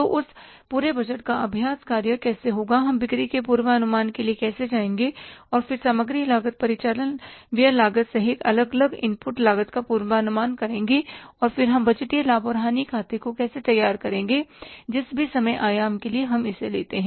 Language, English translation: Hindi, So, how that entire budgeting exercise will take place, that how we will go for the sales forecasting and then the forecasting of the different input cost, maybe including the material cost and operating expenses cost and then how we will prepare the budgeted profit and loss account whatever the time horizon we take